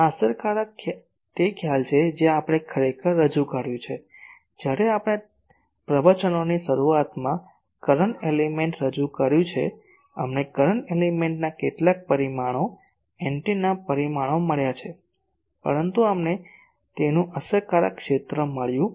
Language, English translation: Gujarati, This effective are concept we have introduced actually when we have introduced in the start of the lectures the current element, we have found some of the parameters antenna parameters of current element, but we have not found its effective area